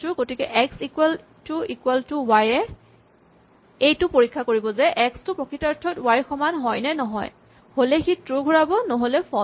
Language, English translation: Assamese, So, if x equal to equal to y checks, whether the value of x is actually the same as the value y and if so, it returns the value true otherwise, it returns false